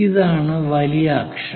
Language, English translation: Malayalam, And this is the major axis